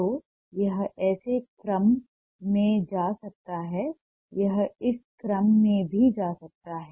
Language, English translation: Hindi, so it may go in this order